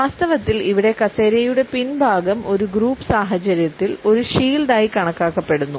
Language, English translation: Malayalam, In fact, the back of the chair has been taken up as a shield in a group situation